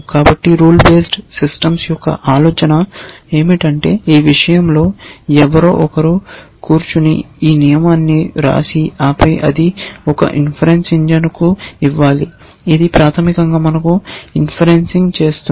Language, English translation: Telugu, So, the idea of rule based systems is that somebody sits and write down, writes down this rule in this thing and then we give it to an inference engine which basically does the inferencing for us